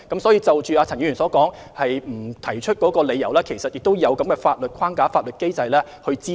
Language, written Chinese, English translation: Cantonese, 所以，就陳議員所言處方不提出理由一事，事實上是有法律機制以供查詢。, Hence regarding Mr CHANs remark that OAT does not give the reason for its classification a legal mechanism has in fact been established for enquiries